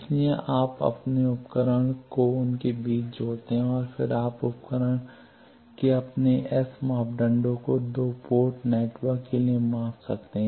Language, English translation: Hindi, So, you connect your device between them and then you can measure your S parameters of the device for a two port network